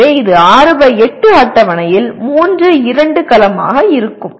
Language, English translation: Tamil, So it will be 3, 2 cell of the 6 by 8 table